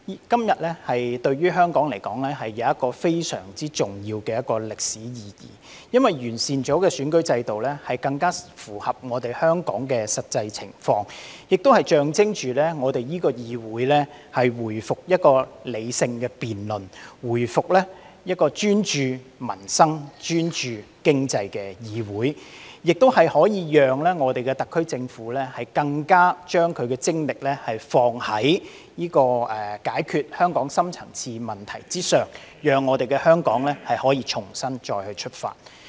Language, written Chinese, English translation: Cantonese, 今天對於香港來說有着非常重要的歷史意義，因為完善了的選舉制度將更符合香港的實際情況，亦象徵我們的議會回復理性辯論，回復為專注民生、專注經濟的議會，亦可令香港特區政府的精力投放在解決香港深層次問題之上，讓香港可以重新出發。, To Hong Kong today is a day of great historical significance because the improved electoral system will better reflect the actual circumstances in Hong Kong . It also symbolizes that this Council will return to rational debates and return to its role as a parliamentary assembly focusing on peoples livelihood and the economy . It enables the SAR Government to put its efforts into resolving the deep - seated problems of Hong Kong so that Hong Kong can start afresh and strive ahead